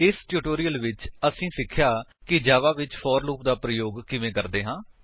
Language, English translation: Punjabi, In this tutorial, you will learn how to use the for loop in Java